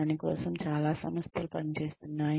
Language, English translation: Telugu, That is what, most organizations are working for